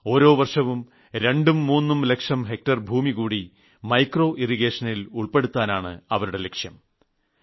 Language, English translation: Malayalam, And they are striving to bring every year 2 to 3 lakh hectares additional land under micro irrigation